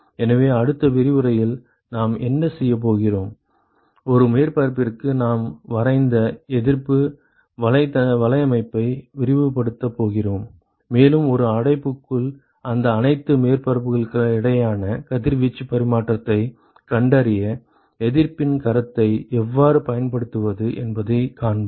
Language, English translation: Tamil, So, in what we are going to do in the next lecture, we are going to expand the resistance network that we drew for one surface, and how to use the resistance concept to find out the radiation exchange with all these surfaces that is present in an enclosure